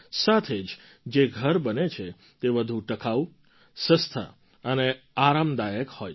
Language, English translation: Gujarati, Along with that, the houses that are constructed are more durable, economical and comfortable